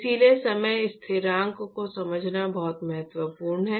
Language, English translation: Hindi, So, it is very important to understand time constants